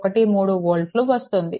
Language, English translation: Telugu, 13 volt, right